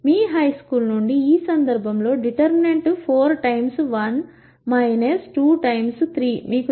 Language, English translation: Telugu, From your high school, you know the determinant is going to be in this case simply 4 times 1 minus 2 times 3